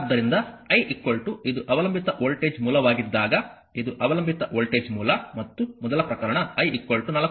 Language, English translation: Kannada, So, when I is equal to this is a your dependent voltage source, this is a dependent voltage source and first case is I is equal to 4 ampere